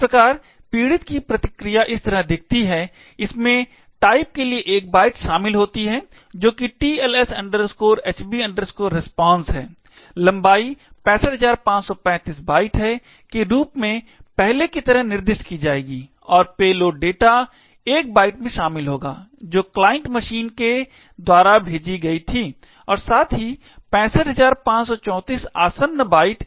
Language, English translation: Hindi, Thus, the response from the victim would look like this way, it would comprise of 1 byte for type that is TLS HB RESPONSE, the length would be specify as before as 65535 bytes and the payload data would comprise of the 1 byte that was sent by the client machine as well as 65534 adjacent bytes